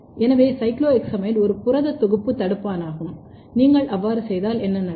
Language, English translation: Tamil, So, cycloheximide is a protein synthesis inhibitor, if you do that then what will happen